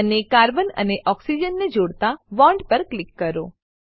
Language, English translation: Gujarati, And click on the bond connecting carbon and oxygen